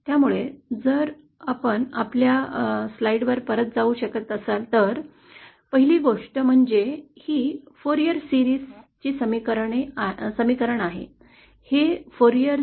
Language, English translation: Marathi, So if we can go back to our slide, first thing that we see is that, this is the expression of a Fourier series, this has the same expression as the Fourier series